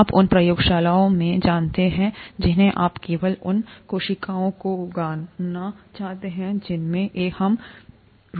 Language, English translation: Hindi, You know in the labs you would want to grow only the cells that we are interested in